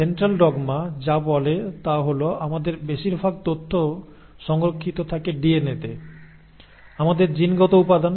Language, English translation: Bengali, Now Central dogma, what it says is that most of our information is stored in DNA, our genetic material